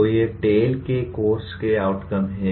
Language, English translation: Hindi, So these are the course outcomes of TALE